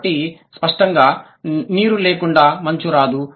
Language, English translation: Telugu, So, obviously ice cannot come without water